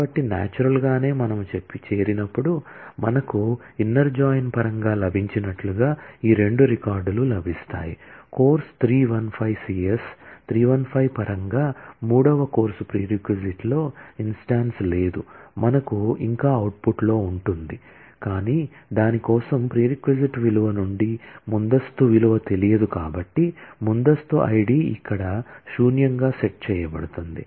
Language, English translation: Telugu, So, naturally when we do the join, we will get these two records as we have got in terms of the inner join, in terms of course 315 the CS 315, the third course there is no instance in the prereq, we will still have that in the output, but since the prereq value for that, the prerequisite value is not known, the prerequisite id will be set to null here